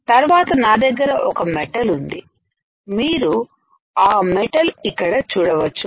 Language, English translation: Telugu, Then I have a metal here, you can see the metal here